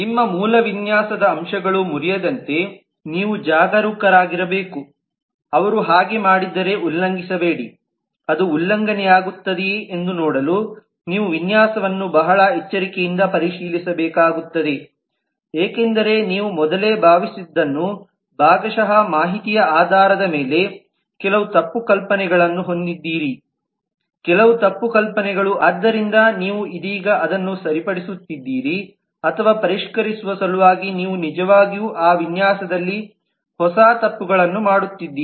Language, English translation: Kannada, you should be careful that your original design aspects do not broken, do not get violated if they do then you will have to review the design very carefully to see whether it is getting violated because what you had assumed earlier possibly based on partial information what had some wrong notions, some misconceptions so you are correcting it now or whether in order to refine you are actually making new mistakes in that design